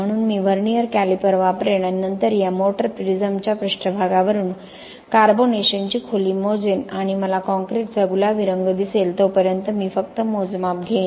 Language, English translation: Marathi, So I will use the vernier caliper and then measure the carbonation depth from the surface of this motor prism and I will just take the measurements until where I am going to see the pink color of the concrete